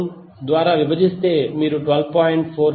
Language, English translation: Telugu, 632, you will get current as 12